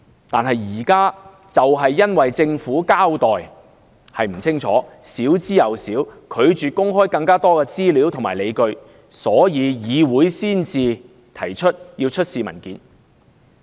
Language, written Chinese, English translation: Cantonese, 但現在就是因為政府交代不足，拒絕公開更多資料和理據，議會才會要求出示文件。, But now this Council asks for the production of documents precisely because the Government has refused to disclose more information and justifications while a detailed account of the case has been found wanting